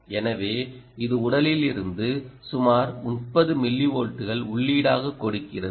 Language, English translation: Tamil, so it gives as an input of about thirty millivolts ah at the from the body